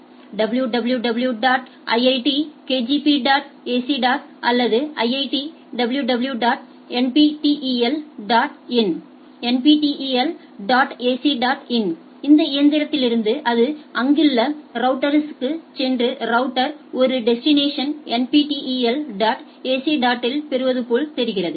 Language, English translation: Tamil, So, router what it is getting a address for the destination, like if I say www dot iiitkgp dot ac dot in from this particular machine or IIT www nptel dot in, nptel dot ac dot in from this machine it goes to the nearest router and it looks the router gets a destination as nptel dot ac dot in